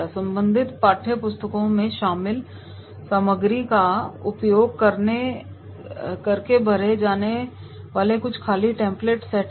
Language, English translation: Hindi, Set up some blank templates to be filled in by using the material covered in the respective textbooks